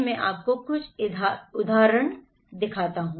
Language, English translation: Hindi, I can show you some example